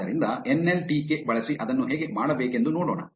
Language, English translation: Kannada, So, let us see how to do that using nltk